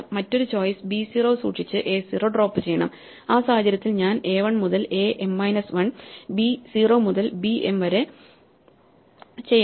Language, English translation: Malayalam, The other choice should be to keep b 0 and drop a 0 and which case I do a 1 to a m minus 1 and b 0 to b m